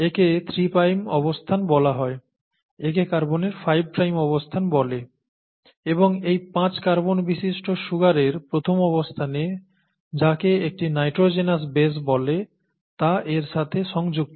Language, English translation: Bengali, So this is called the three prime position, this is called the five prime position of the carbon atom and to this five carbon sugar, to the first position, you have what is called as a base, a nitrogenous base that is attached to it